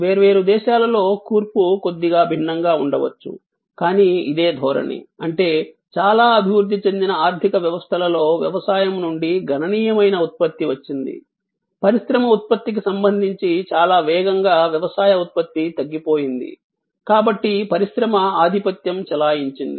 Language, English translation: Telugu, In different countries the composition maybe slightly different, but this is the trend; that means, in most developed economies a significant output came from agriculture, very rapidly agricultural output with respect to industry output diminished, so industry dominated